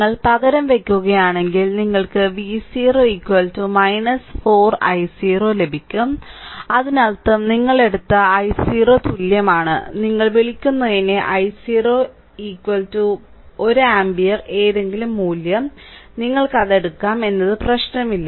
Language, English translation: Malayalam, If you substitute you will get V 0 is equal to minus 4 i 0 right so; that means, i 0 is equal to you have taken, your what you call i 0 is equal to say 1 ampere any value, you can take it does not matter right